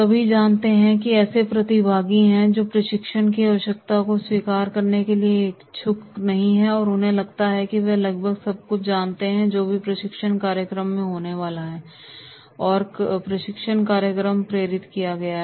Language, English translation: Hindi, Know all, these are the participants who are not inclined to accept the need for training and they feel that they know almost everything that the training program indents to focus on